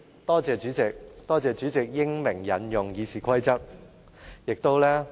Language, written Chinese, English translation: Cantonese, 多謝代理主席英明引用《議事規則》。, I wish to thank the Deputy President for applying the Rules of Procedure so wisely